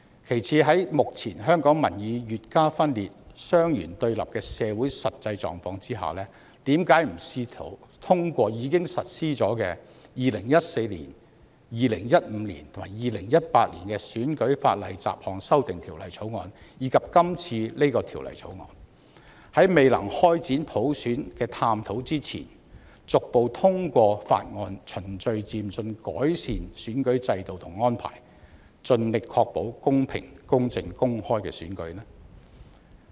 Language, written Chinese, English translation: Cantonese, 其次，在目前香港民意越加分裂、雙元對立的社會實際狀況下，為何不試圖通過已實施的2014年、2015年、2018年的《選舉法例條例草案》，以及今次的《條例草案》，在未能開展普選探討之前，逐步通過法案循序漸進改善選舉制度及安排，盡力確保公平、公正、公開的選舉？, Second given the present increasingly divided public opinion and polarized society why do we not before commencing the study on universal suffrage make use of Electoral Legislation Bills implemented in 2014 2015 and 2018 and the present Bill to improve our electoral system and arrangements in a gradual and orderly manner so as to ensure that elections will be held in a fair just and open manner?